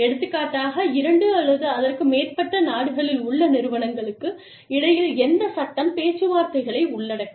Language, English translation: Tamil, For example, between companies, in two or more countries, which law will cover, the negotiations